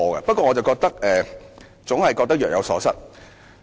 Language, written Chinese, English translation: Cantonese, 不過，我總覺得若有所失。, However I still feel that something is missing